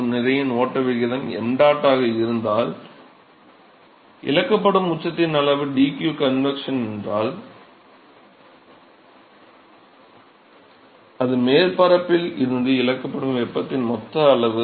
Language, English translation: Tamil, And if the mass flowrate is m dot, and if the amount of peak that is lost is dq convection, that is the total amount of heat that is lost from the surface